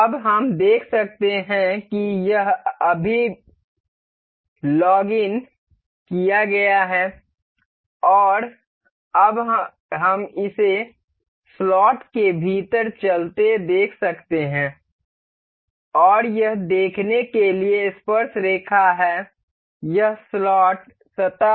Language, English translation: Hindi, Now, we can see it is logged now, and now we can see this moving within the slot and it is tangent to see, it the slot surface